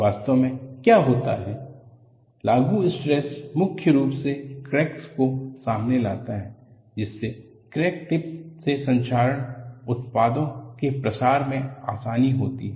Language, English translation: Hindi, What really happens is, the applied stress mainly opens up the cracks, allowing easier diffusion of corrosion products away from the crack tip